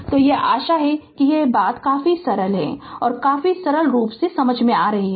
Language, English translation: Hindi, So, this is hope these things are understandable to you quite simple quite simple right